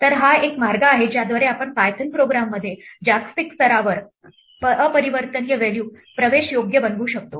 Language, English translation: Marathi, So, this is one way in which we can make an immutable value accessible globally within a Python program